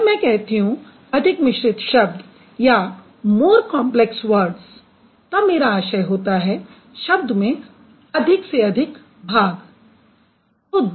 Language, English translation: Hindi, When I say more complex words, the parts are the number of parts are more